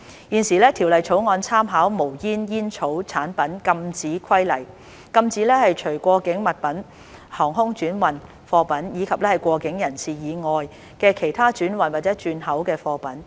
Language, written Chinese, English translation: Cantonese, 現時條例草案參考《無煙煙草產品規例》，禁止除過境物品、航空轉運貨品，以及過境人士以外的其他轉運或轉口的貨品。, By drawing reference from the Smokeless Tobacco Products Prohibition Regulations the Bill prohibits the transhipment or re - export of goods other than articles in transit air transhipment cargoes or goods carried by persons in transit